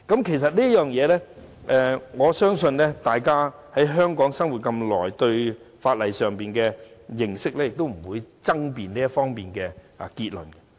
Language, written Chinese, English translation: Cantonese, 其實，我相信大家在香港生活了那麼久，以大家對法例的認識，理應不會就這方面的結論作出爭辯。, In fact I believe that as we have been living in Hong Kong for such a long time given our legal knowledge no argument should arise over the conclusion on such matters